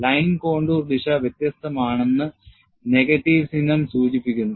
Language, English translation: Malayalam, The negative sign indicates that, the direction of line contour is different